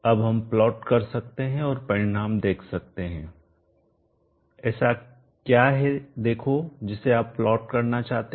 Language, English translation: Hindi, Now we can plot and see the results, what is see that you would like to plot